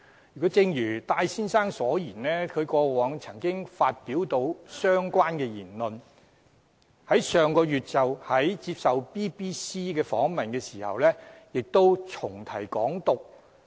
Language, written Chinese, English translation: Cantonese, 可是，正如戴先生所說，他過往亦曾發表相關言論，在上月接受 BBC 訪問時亦再重提"港獨"。, However as Mr TAI said he had made such remarks in the past and he did mention Hong Kong independence again in an interview by BBC